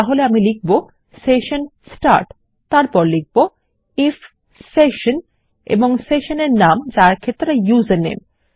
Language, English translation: Bengali, So, here Ill say session start then Ill say if session and the session name which is username